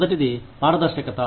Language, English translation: Telugu, The first is transparency